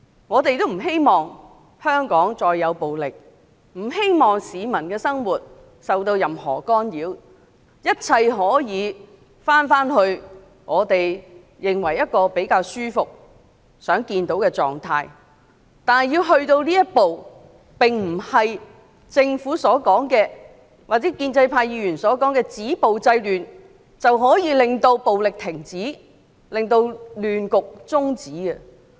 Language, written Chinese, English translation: Cantonese, 我們不希望香港再有暴力事件或市民的生活受到任何干擾，寄望一切可以回到我們認為比較舒服和希望看到的狀態，但如果要走到這一步，並不是政府或建制派議員所說的止暴制亂便能停止暴力、中止亂局。, We do not wish to see any acts of violence in Hong Kong or the lives of the people being affected in any way . We hope that we can return to a state which is regarded as more comfortable and desirable; but this goal cannot be attained by stopping violence and curbing disorder as claimed by the Government or pro - establishment Members